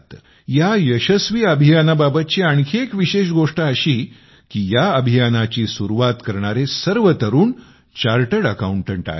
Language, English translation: Marathi, The most important thing about this successful effort is that the youth who started the campaign are chartered accountants